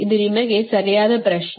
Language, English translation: Kannada, this is a question to you, right